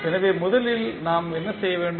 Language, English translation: Tamil, So, first thing what we have to do